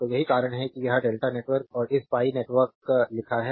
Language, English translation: Hindi, So, that is why it is written delta network and this pi network